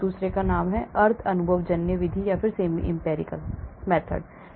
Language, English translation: Hindi, the other one is called the semi empirical method